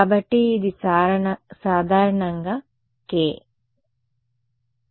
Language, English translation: Telugu, So, this is this is in general k ok